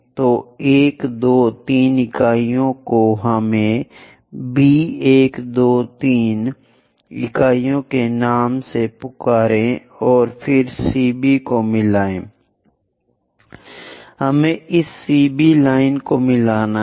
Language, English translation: Hindi, So 1, 2, 3 units so here 3 units on that, let us call that by name B 1, 2, 3 units and then join CB, we have to join this CB line